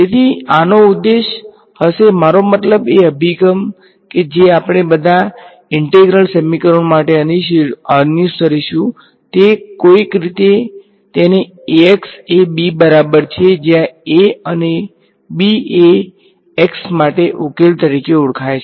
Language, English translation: Gujarati, So, this is going to be the objective of I mean the approach that we will follow for all integral equations somehow get it into Ax is equal to b where A and b are known solve for x